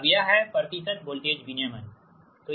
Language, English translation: Hindi, that means that is your percentage voltage regulation